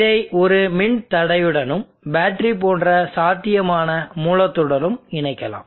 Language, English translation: Tamil, And let me connect it to a resistor and a potential source a battery like this